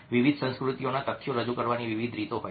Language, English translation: Gujarati, different cultures have different ways of presenting facts